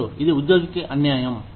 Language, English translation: Telugu, Two, it is unfair to the employee